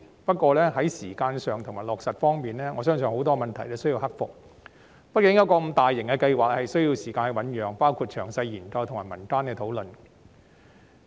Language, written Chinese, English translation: Cantonese, 不過，在時間和落實方面，我相信有很多問題需要克服，因為一個如此大型的計劃，畢竟需要時間醞釀，包括詳細研究和民間的討論。, While I admire her goodwill and support the general direction I believe many problems in respect of timing and implementation must be overcome . After all it takes time before such a large - scale project can be carried out including the time for conducting detailed studies and public discussions